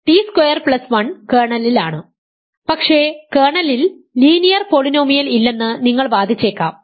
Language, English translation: Malayalam, So, t squared plus 1 is in the kernel and you argue that there is no linear polynomial in the kernel